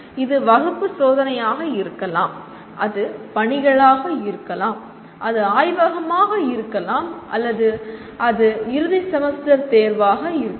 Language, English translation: Tamil, It could be class test, it could be assignments, it could be laboratory or it could be the end semester examination